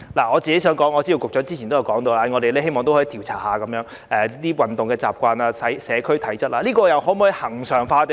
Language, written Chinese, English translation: Cantonese, 我知道局長之前曾說過希望可以調查市民的運動習慣和社區體質，這些工作可否恆常進行呢？, I know the Secretary has earlier said that he hopes to conduct a survey on the exercise habits and physical fitness of the public . Can such work be done on a regular basis?